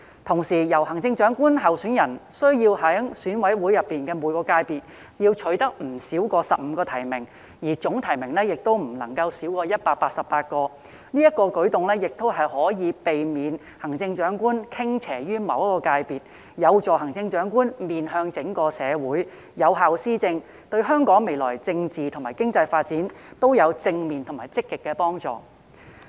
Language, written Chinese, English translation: Cantonese, 同時，行政長官候選人須在選委會每個界別中取得不少於15個提名，總提名亦不能少於188個，此舉可避免行政長官傾斜於某一個界別，有助行政長官面向整個社會，有效施政，對香港未來政治和經濟發展均有正面及積極的幫助。, Moreover a Chief Executive candidate will have to be nominated by not less than 188 EC members with at least 15 members from each sector . This approach can prevent the Chief Executive from tilting towards a certain sector and help the Chief Executive face the community at large thus fostering effective administration . It can facilitate Hong Kongs future political and economic development in a positive and active way